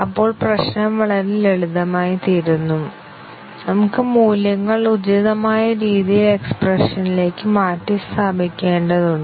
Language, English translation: Malayalam, Then, the problem becomes very simple; we need to just substitute the values appropriately into the expression